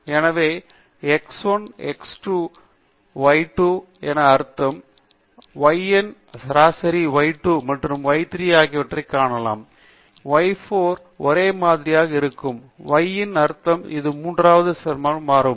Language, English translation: Tamil, So, mean of x 1, x 2, y 2 or if you can look at mean of y 1 and mean of y 2 and y 3, y 4 are identical; may be mean of y 3 is just differing by one third decimal